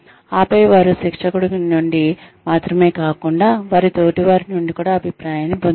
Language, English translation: Telugu, And then, they get feedback, not only from the trainer, but also from their peers